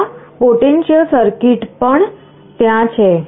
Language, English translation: Gujarati, This potentiometer circuit is also there